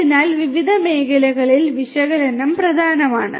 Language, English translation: Malayalam, So, analytics is important in different fronts